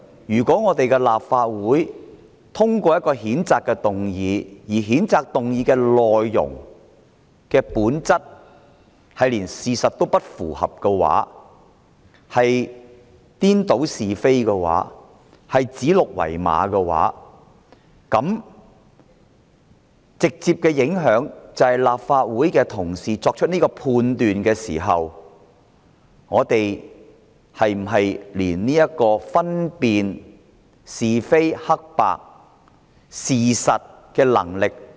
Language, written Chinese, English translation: Cantonese, 如果立法會通過一項譴責議案，而譴責議案的內容歪曲事實、顛倒是非、指鹿為馬，是否表示立法會同事作出判斷時，已喪失分辨是非黑白的能力？, If the Legislative Council passed a censure motion that distorts the facts confuses right and wrong and calls a stag a horse does it mean that Legislative Council Members have lost their ability to tell right from wrong when making their judgments?